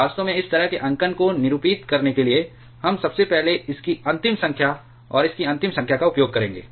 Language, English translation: Hindi, Actually, to denote this kind of notation, we will first use the last number of this, and the last number of this